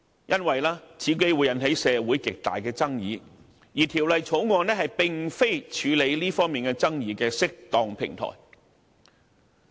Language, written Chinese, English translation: Cantonese, 因為此舉會引起社會極大的爭議，而《條例草案》並非處理這方面爭議的適當平台。, Amending the definitions will cause great controversies in society and a debate on the Bill is not an appropriate platform to deal with such controversies